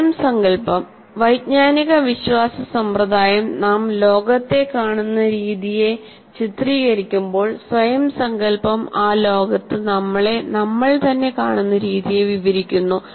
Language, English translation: Malayalam, While the cognitive belief system portrays the way we see the world, this self concept describes the way we see ourselves in that world